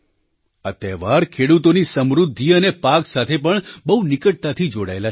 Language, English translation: Gujarati, These festivals have a close link with the prosperity of farmers and their crops